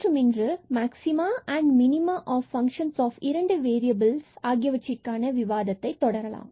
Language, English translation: Tamil, And, today we will continue our discussion on Maxima and Minima of Functions of Two Variables